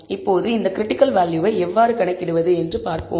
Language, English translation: Tamil, Now, let us see how to compute this critical value